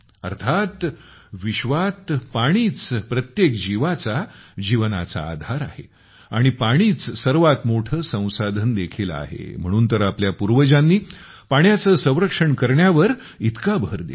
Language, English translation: Marathi, That is, in the world, water is the basis of life of every living being and water is also the biggest resource, that is why our ancestors gave so much emphasis on water conservation